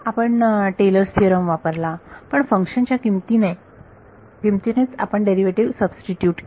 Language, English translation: Marathi, We use Taylor's theorem, we substituted a derivative by function value itself